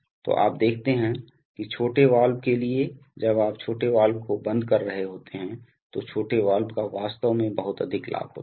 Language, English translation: Hindi, So you see that for the small valve, when you are just before closing the small valves the actually small valve actually has a very high gain